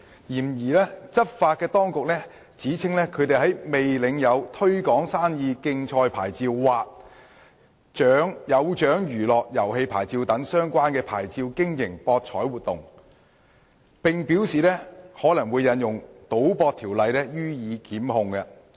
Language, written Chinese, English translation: Cantonese, 然而，執法當局指稱他們在未領有"推廣生意的競賽牌照"或"有獎娛樂遊戲牌照"等相關牌照下經營博彩活動，並表示可能會引用《賭博條例》予以檢控。, However the law enforcement authorities have alleged them of operating gaming activities without obtaining the relevant licences such as Trade Promotion Competition Licence or Amusements with Prizes Licence and have indicated that they may invoke the Gambling Ordinance to institute prosecutions against them